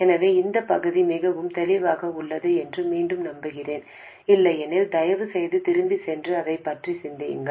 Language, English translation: Tamil, So, again, I hope this part is very clear, otherwise, please go back and think about it